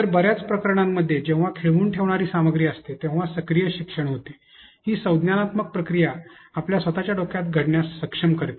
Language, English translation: Marathi, So, in most cases active learning occurs whenever the content is engaging, it allows this cognitive process to be able to happen in your own head